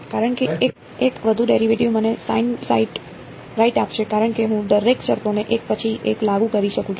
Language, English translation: Gujarati, Cos one more derivative will give me a sine right as I can apply to each of the terms one by one